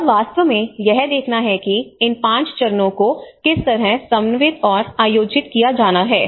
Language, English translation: Hindi, And this has to actually look at how these 5 stages and has to be coordinated and planned accordingly